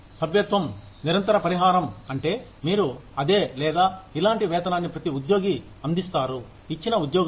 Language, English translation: Telugu, Membership contingent compensation means that, you provide the same or similar wage, to every employee, in a given job